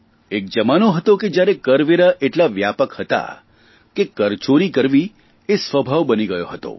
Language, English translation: Gujarati, There was a time when taxes were so pervasive, that it became a habit to avoid taxation